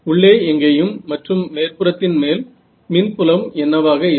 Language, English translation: Tamil, Yes, that because any where inside and on the surface what is the electric field